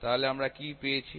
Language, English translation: Bengali, So, what we have obtained